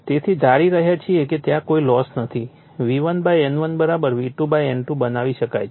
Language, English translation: Gujarati, So, assuming that no losses therefore, we can make V1 / N1 = V2 / N2